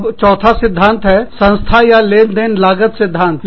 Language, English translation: Hindi, Then, the fourth theory here is, the agency or transaction cost theory